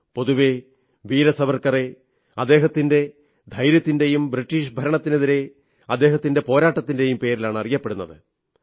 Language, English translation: Malayalam, Generally Veer Savarkar is renowned for his bravery and his struggle against the British Raj